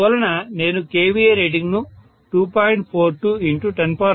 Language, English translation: Telugu, So I am going to have the kVA rating to be 2